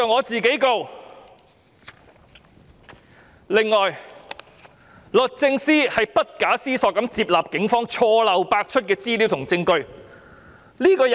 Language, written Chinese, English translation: Cantonese, 此外，律政司不假思索地接納警方錯漏百出的資料和證據。, In addition the Department of Justice unhesitatingly accepts deeply - flawed information and evidence provided by the Police